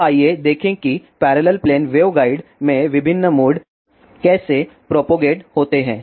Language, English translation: Hindi, Now, let us see how different modes propagate in a parallel plane waveguide